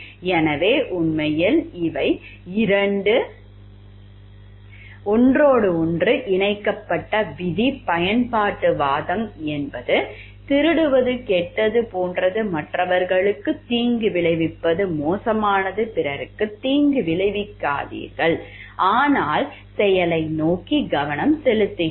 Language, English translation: Tamil, So, actually these are 2 linked with each other rule utilitarianism is the principle like which tells like it is like bad to steal, it is bad to harm others and then do not harm others, but action is focus towards the action